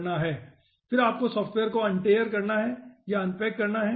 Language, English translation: Hindi, then you need to untar or unpack the software